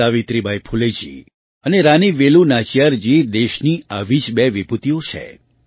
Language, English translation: Gujarati, Savitribai Phule ji and Rani Velu Nachiyar ji are two such luminaries of the country